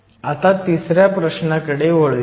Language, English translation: Marathi, So, let us now move to question 3